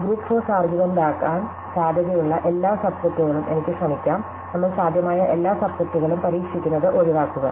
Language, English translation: Malayalam, So, I can try every possible subset that would be a group force argument, we want to avoid having to try every possible subset